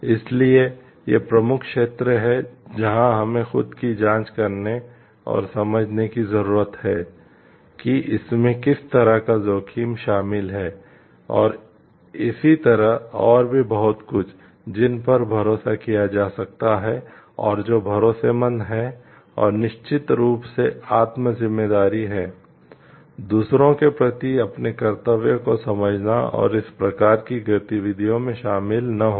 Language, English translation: Hindi, So, these are important areas where we need to keep our self check on and maybe understand the what are the degrees of risks involved and more so like who can be trusted and what are the trustworthiness and at the end of course is self responsibility understanding our duty to others and not to get involved in these type of activities